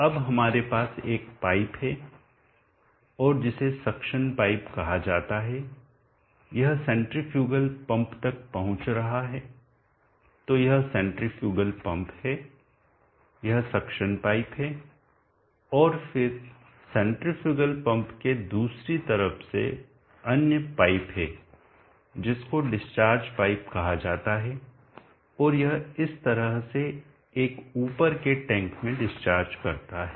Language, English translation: Hindi, Now let us have a pipe and that is called the suction pipe, it is reaching the centrifugal pump, so this is the centrifugal pump, this is the suction pipe, and then from the other side of the centrifugal pump where in other pipe which is called the discharge pipe and it discharges into over a tank in this fashion